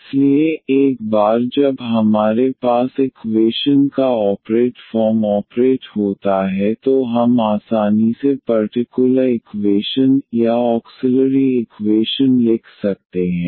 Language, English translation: Hindi, So, once we have the operated form operated form of the equation we can easily write down the characteristic equation, so or the auxiliary equation